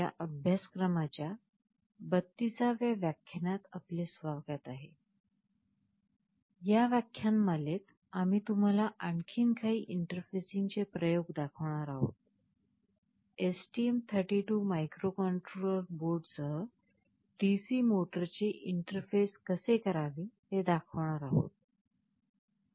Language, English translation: Marathi, In this lecture, we shall be showing you some more interfacing experiments; namely we shall be showing how to interface a DC motor with the STM32 microcontroller board